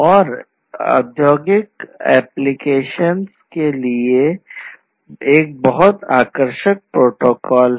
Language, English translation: Hindi, And, you know it is a very attractive protocol for industrial applications ah